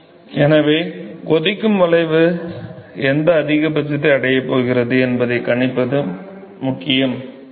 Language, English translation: Tamil, So, it is important to predict what is the maxima at which the boiling curve is going to reach